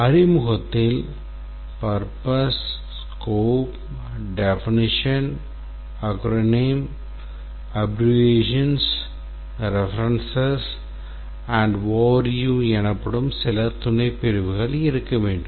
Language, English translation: Tamil, The introduction should have a purpose, a subsection called as purpose, scope, definition acronym abbreviations, references and overview